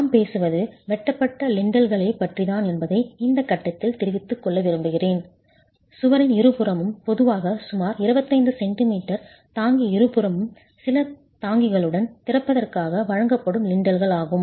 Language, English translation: Tamil, I would like to state at this stage that what we are talking about are cut lintels, just lintels which are provided for the opening with some bearing on either sides, typically about 25 centimeters of bearing on either sides of the wall